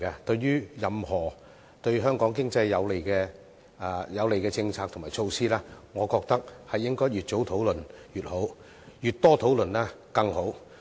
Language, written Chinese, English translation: Cantonese, 對於任何對香港經濟有利的政策和措施，我認為越早討論越好，越多討論更好。, Regarding policies and measures that can benefit the Hong Kong economy I think the earlier they are discussed the better and the more they are discussed all the better